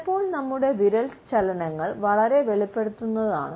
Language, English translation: Malayalam, Sometimes our finger movements can be very revealing